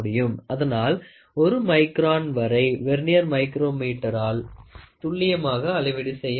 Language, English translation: Tamil, So, you can accurately measure up to 1 micron using this Vernier micrometer